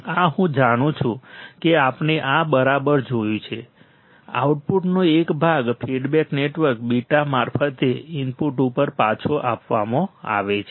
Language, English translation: Gujarati, This I know this we have seen right; part of the output is fed back to the input through feedback network beta